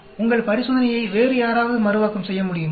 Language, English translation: Tamil, Is somebody else able to reproduce your experiment